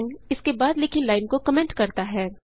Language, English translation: Hindi, # sign comments a line written after it